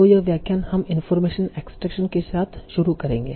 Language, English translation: Hindi, And so today we will, so this lecture we will start with information extraction